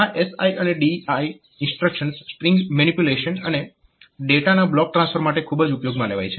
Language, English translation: Gujarati, So, this SI and DI instruction they are very much used for string manipulation, and this block transfer of data